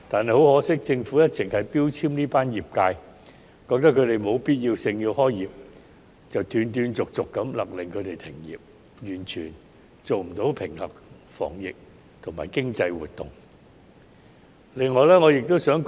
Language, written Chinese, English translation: Cantonese, 可惜的是，政府一直標籤這群業界，認為它們屬非必要行業，因此斷斷續續地勒令其停業，完全忽視平衡防疫和經濟活動的需要。, Unfortunately the Government has been labelling these industries as non - essential and has been intermittently ordering them to cease operations completely ignoring the need to balance epidemic prevention and economic activities